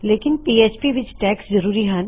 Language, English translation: Punjabi, However, in PHP, you need the tags